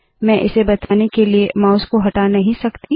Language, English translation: Hindi, I cannot move the mouse to show this